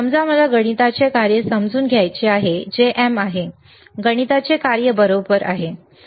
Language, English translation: Marathi, Suppose I want to understand the math function, which is see MM, is the math function right